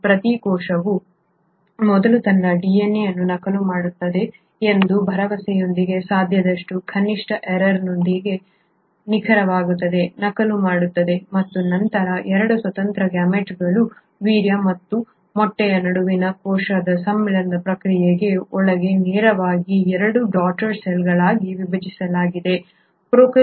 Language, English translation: Kannada, Here each cell will first duplicate its DNA in the hope that it is duplicating it exactly with as many minimal errors as possible and then divide into 2 daughter cells directly without undergoing the process of cell fusion between 2 independent gametes a sperm and an egg, that process does not happen in case of prokaryotes